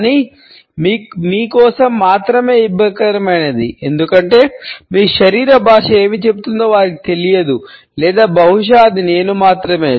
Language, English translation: Telugu, But only awkward for you because they probably do not know what your body language is saying or maybe that is just me yeah it is probably just me